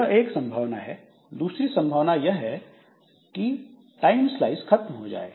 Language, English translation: Hindi, Another possibility is that the time slice has expired